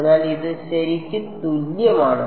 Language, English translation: Malayalam, So, this is going to be